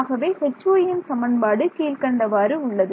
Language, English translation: Tamil, So, equation for H y was the following